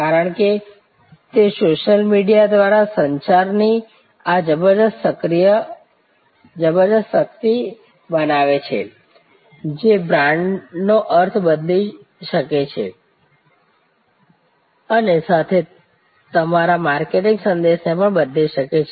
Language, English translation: Gujarati, Because, that creates this tremendous power of communication through social media, that can change the meaning of a brand, that can change your marketing message